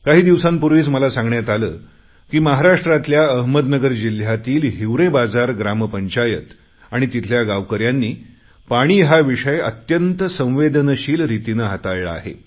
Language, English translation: Marathi, I was recently told that in Ahmednagar district of Maharashtra, the Hivrebazaar Gram Panchayat and its villagers have addressed the problem of water shortage by treating it as a major and delicate issue